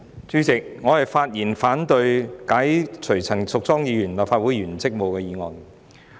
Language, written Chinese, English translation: Cantonese, 主席，我發言反對動議解除陳淑莊議員立法會議員職務的議案。, President I speak in objection to the motion to relieve Ms Tanya CHAN of her duties as a Member of the Legislative Council